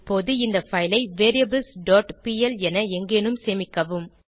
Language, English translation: Tamil, Now save this file as variables.pl at any location